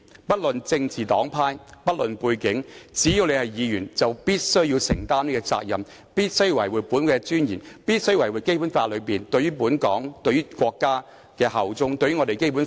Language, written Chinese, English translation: Cantonese, 不論政治黨派、背景，只要身為議員，便必須承擔這項責任，維護本會尊嚴及《基本法》內規定對香港和國家效忠的條文，擁護《基本法》。, Anyone regardless of his political affiliation and background as long as he is serving as a Member must take up this responsibility to safeguard the dignity of this Council and the provisions in the Basic Law requiring allegiance to Hong Kong and the country and to uphold the Basic Law